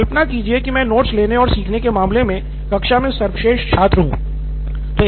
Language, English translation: Hindi, Imagine I am the best student in class in terms of taking notes and learning